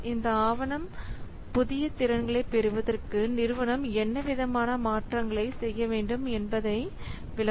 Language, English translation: Tamil, This document it explains what changes they have to be made in order to obtain the new capability